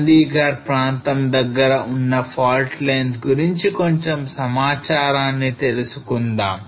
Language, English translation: Telugu, Let us some more information on the fault lines close to Chandigarh area